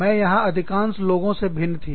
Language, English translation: Hindi, I was different, from most of the people, here